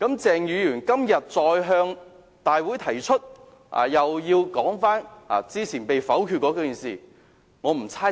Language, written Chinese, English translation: Cantonese, 鄭議員今天再次向立法會大會提出議案，要求討論早前被否決的議題。, Today Dr CHENG moved the same motion to the Legislative Council urging for the discussion of a subject which was previously voted down